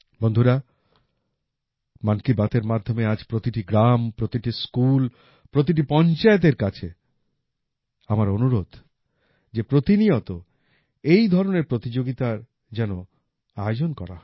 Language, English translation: Bengali, Friends, through 'Mann Ki Baat', today I request every village, every school, everypanchayat to organize such competitions regularly